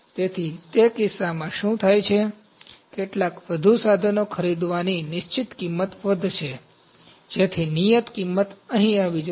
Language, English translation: Gujarati, So, in that case, what happens, the fixed cost of purchasing some more equipment wide would rise, so that fixed cost would come here something like